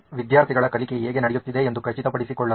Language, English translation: Kannada, To ensure that the learning has happened